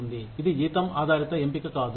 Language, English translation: Telugu, This is not a salary based choice